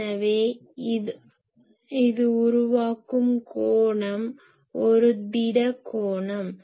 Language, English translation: Tamil, So, the angle it is creating that is a solid angle